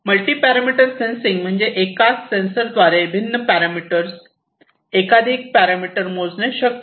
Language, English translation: Marathi, Multi parameter sensing means like different parameters in the same sense through the same sensors it is possible to measure multiple parameters